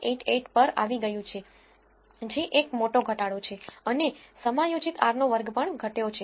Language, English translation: Gujarati, 588 which is a huge decrease and even the adjusted r square has decreased